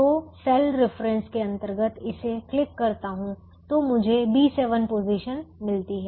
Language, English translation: Hindi, so under the cell reference i click this so i get the b seven position by default